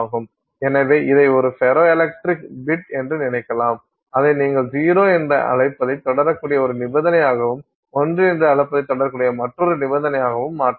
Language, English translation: Tamil, So, you can think of it as a ferroelectric bit which you can switch to a condition that you can keep calling as zero and another condition that you can keep calling as one